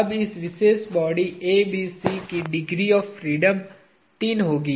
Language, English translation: Hindi, Now, this particular body A B C will have three degrees of freedom